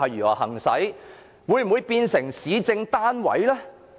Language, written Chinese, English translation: Cantonese, 我們會否變成市政單位呢？, Will we become an administrative unit?